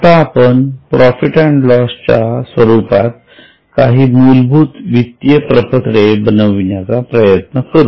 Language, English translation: Marathi, Now let us try to prepare some basic financial statement in the form of profit and loss account